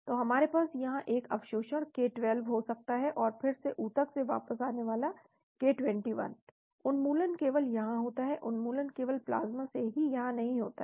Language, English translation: Hindi, So we can have an absorption here k12 and again coming back from the tissues k21 , elimination happens only here, elimination does not happen here only from the plasma that is the